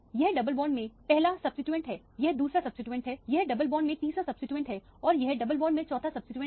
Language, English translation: Hindi, This is one substituent in the double bond, this is another substituent in the double bond, this is a third substituent in a double bond this is a forth substituent in the double bond